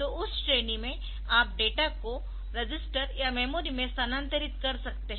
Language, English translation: Hindi, So, you can have in that category, you can have data movement to register or data movement to memory